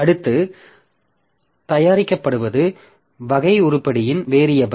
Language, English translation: Tamil, So, next produced is a variable of type item